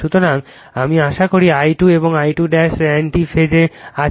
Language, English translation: Bengali, So, I hope you are I 2 and I 2 dash are in anti phase